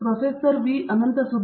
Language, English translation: Kannada, Thank you Prof